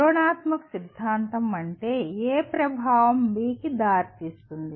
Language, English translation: Telugu, Descriptive theory means a cause A leads to effect B